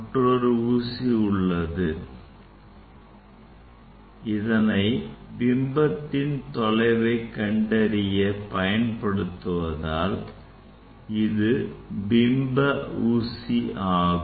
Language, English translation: Tamil, And another needle I need to get the position of the image, so this the image needle